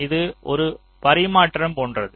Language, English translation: Tamil, this is like a tradeoff